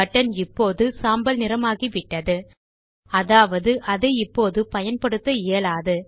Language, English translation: Tamil, Notice that the button is greyed out, meaning now it is disabled from use